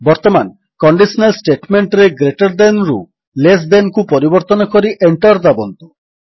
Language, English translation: Odia, Now, in the condition statement lets change greater than to less than and press the Enter key